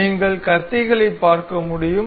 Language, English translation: Tamil, You can see the blades